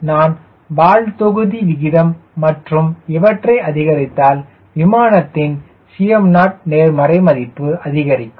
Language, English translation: Tamil, so if i increase tail volume ratio and if i increase this difference, then c m naught the aircraft will become more and more positive